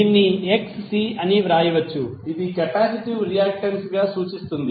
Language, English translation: Telugu, So what will write this this will simply write as Xc which is symbolized as capacitive reactance